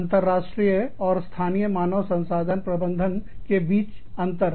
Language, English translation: Hindi, Differences between, international and domestic HRM